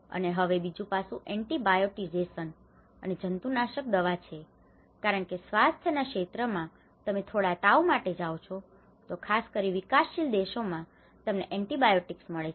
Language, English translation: Gujarati, And now another aspect is antibiotisation and pesticidization because in the health sector even you go for a small fever, you get antibiotics especially in developing countries